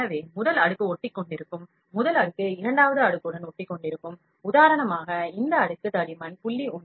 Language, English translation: Tamil, So, the first layer would stick, the first layer will stick with the second layer, for instance this layer thickness is 0